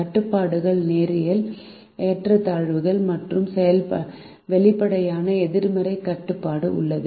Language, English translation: Tamil, the constraints are linear inequalities and there is an explicit non negativity restriction